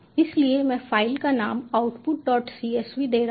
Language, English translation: Hindi, so i am giving the file name as output: dot csv